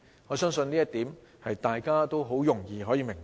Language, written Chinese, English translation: Cantonese, 我相信這一點，大家都很容易明白。, I believe this point is easy to understand